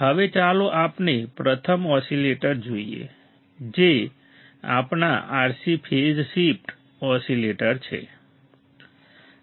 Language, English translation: Gujarati, Now, let us see first oscillator that is our RC phase shift oscillator RC phase shift oscillators